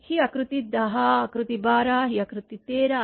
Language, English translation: Marathi, This is figure 10, figure 12, this is figure 13